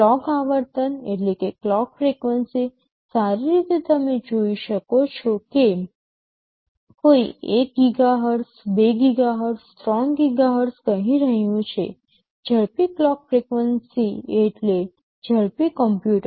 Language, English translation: Gujarati, Clock frequency, well you see someone is saying 1 GHz, 2 GHz, 3 GHz does faster clock frequency means a faster computer